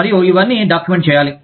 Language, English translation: Telugu, And, all of this, has to be documented